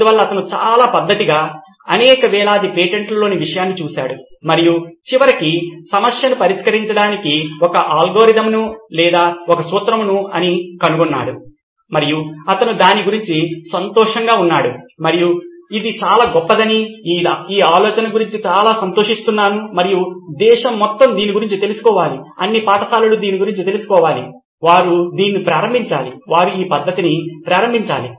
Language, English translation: Telugu, So he did that very methodically with thousands and thousands of these patents and finally figured out that a way an algorithm or a formula to actually solve the problem and he was happy about it and he said this is great this is extremely excited about this idea and he said the whole nation has to know about this, all the schools have to know about this they have to start doing this, they have to start embarking on this method